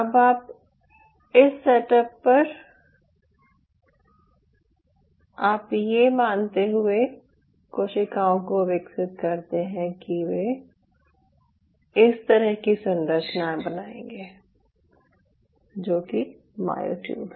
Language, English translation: Hindi, now, on this setup, you grow the cells, assuming that they will form structures like this, which are the myotubes